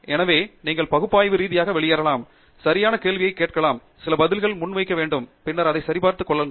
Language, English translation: Tamil, So, you should be able to analytically reason out, ask the right question, postulate some answer, and then, check it out and then